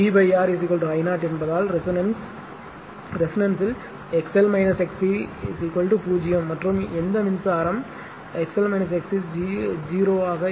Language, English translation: Tamil, Since V by V by R is equal to I 0 because at resonance XL minus XC is equal to 0 and for which current is maximum if XL minus XC is 0